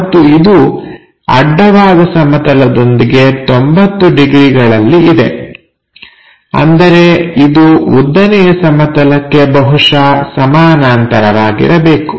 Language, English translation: Kannada, And, it is going to make 30 degrees to horizontal plane; that means, it and is supposed to be parallel to that vertical plane